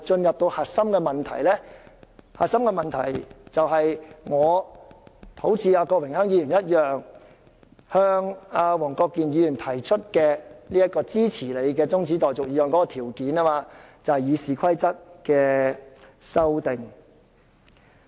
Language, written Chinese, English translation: Cantonese, 現時的核心問題，就是我和郭榮鏗議員向黃國健議員提出支持其中止待續議案的條件，即建制派撤回對《議事規則》的修訂。, Right now the crux is the condition Mr Dennis KWOK and I put forth to Mr WONG Kwok - kin for supporting his adjournment motion ie . withdrawal of the amendments to RoP by the pro - establishment camp